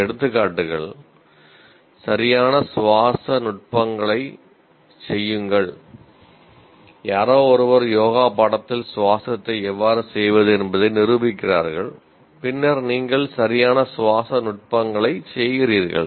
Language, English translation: Tamil, Somebody demonstrates how to perform breathing in a yoga course and then you are performing proper breathing techniques